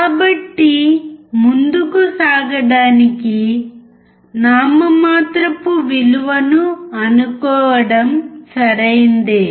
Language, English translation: Telugu, So it is okay to assume a nominal value to move forward